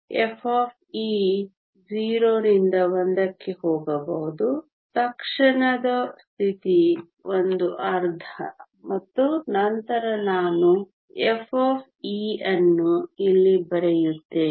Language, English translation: Kannada, f of e can go from 0 to 1 the immediate state is 1 half and then energy I will write e f here